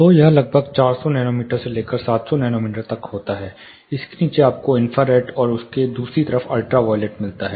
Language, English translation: Hindi, (Refer Slide Time: 01:07) So, it ranges from around 400 nanometers to 700 nanometers below that you have infrared and the other side you have ultra violets